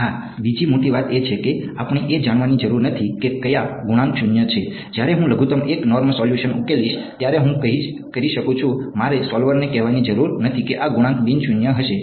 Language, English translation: Gujarati, Yeah, the other great thing is that we do not need to know which coefficients are zero, I can when I solve the minimum 1 norm solution I do not have to tell the solver these coefficients are going to be non zero